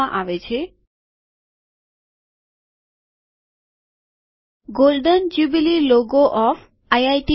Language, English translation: Gujarati, Golden Jubilee logo of IIT Bombay